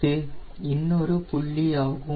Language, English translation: Tamil, this is another point